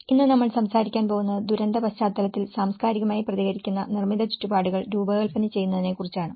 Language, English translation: Malayalam, Today, we are going to talk about designing culturally responsive built environments in disaster context